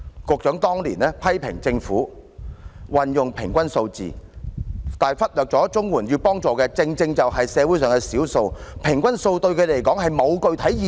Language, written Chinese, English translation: Cantonese, 局長當年批評政府採用平均數字，而忽略綜援要幫助的正正是社會上的少數，平均數對他們來說並沒有具體意義。, At that time the Secretary criticized the Government for using the average figures in its calculation overlooking the fact that CSSA recipients were the minority in the community and average figures were not meaningful to them